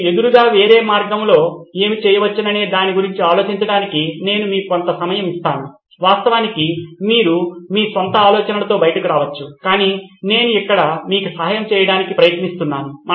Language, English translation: Telugu, I will give you a moment to think about what can you do other way round opposite of, of course you can come out with your own ideas but I am just trying to help you over here